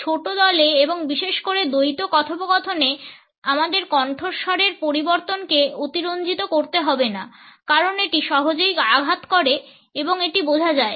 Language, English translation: Bengali, In the small groups and particularly in dyadic conversations we do not have to exaggerate voice modulations because it could be easily hurt and understood